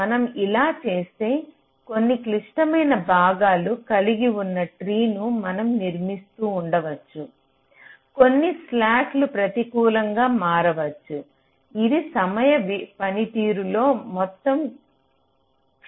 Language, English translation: Telugu, if we do this, then we may be constructing a tree where some critical parts still remains, some slack may become negative, which may result in the overall degradation in the timing performance